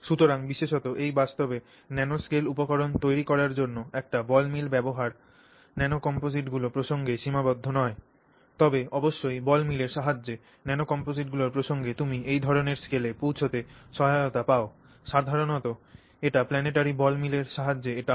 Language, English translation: Bengali, So, in the use of a ball mill to create nanoscale materials particularly and in fact also not necessarily with the in the context of it is not restricted to the context of nanocomposites alone but certainly also in the context of nanocomposites in the use of a ball mill to help you reach those kinds of scales typically they are working with planetary ball mills